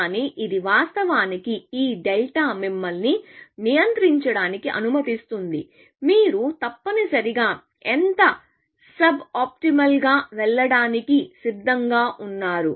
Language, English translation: Telugu, But this, of course, this delta allows you to control; how much sub optimal you are willing to go essentially